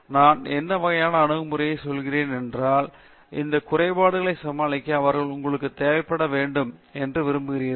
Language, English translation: Tamil, And I mean what sort of approaches then they would they would need to take to you know overcome those shortcomings